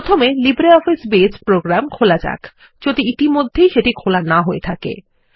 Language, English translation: Bengali, Let us first invoke the LibreOffice Base program, if its not already open